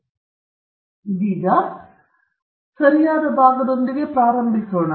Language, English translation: Kannada, Now, let’s start with the right part of it